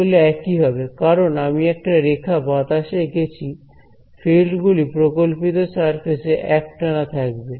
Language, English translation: Bengali, It would be the same because I have just drawn a line in air right the fields will be continuous across this hypothetical surface